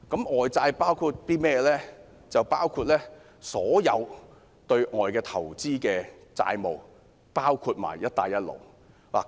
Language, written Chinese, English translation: Cantonese, 外債包括所有對外投資的債務，包括"一帶一路"。, External loans include all loans relating to investments in foreign countries including Belt and Road countries